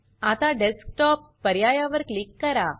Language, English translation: Marathi, Now click on the Desktop option